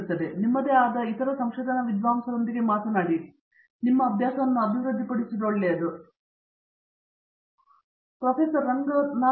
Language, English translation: Kannada, So itÕs a good idea to develop this habit of talking to your own other research scholars because that is a good sounding board also